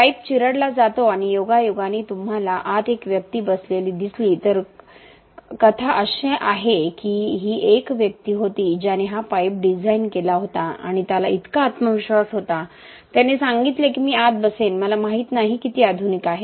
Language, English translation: Marathi, The pipe gets crushed and incidentally you see one person sitting inside, so the story goes that this was a person who designed this pipe and he was so confident, he said that I will sit inside, I do not know how many of the modern engineers would do this but this person had the courage to do it